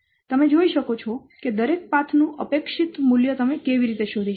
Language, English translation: Gujarati, You can see that the expected value of each path, how you can find out